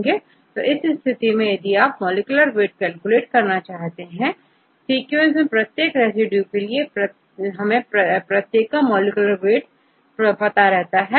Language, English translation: Hindi, So, in this case, if you want to calculate the molecular weight, right in a sequence, for each residue, we know their molecular weight